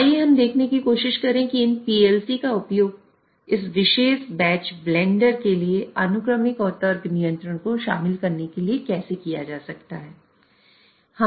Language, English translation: Hindi, So, let us try to see how this PLC can be used to incorporate the sequential and logic control for this particular batch blender